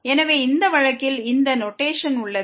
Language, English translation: Tamil, So, in this case this is the notation